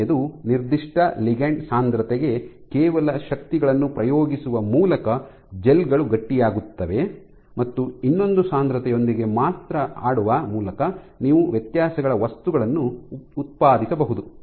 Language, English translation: Kannada, So, first is for a given ligand density just by exerting forces the gels becomes stiffer and stiffer, and the other is that just by playing with the concentration alone you can generate materials of difference differences